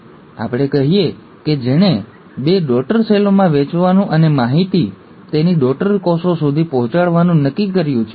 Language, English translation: Gujarati, So let us say, this is the cell which has decided to divide into two daughter cells and pass on the information to its daughter cells